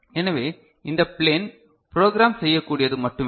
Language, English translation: Tamil, So, this plane is only what you are able to program, is it fine